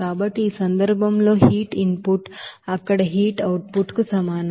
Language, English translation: Telugu, So in this case heat input will be is equal to heat output there